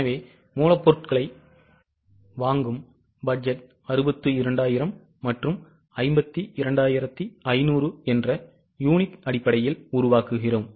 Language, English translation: Tamil, So, we get raw material purchase budget of 62,000 and 52,500 in terms of units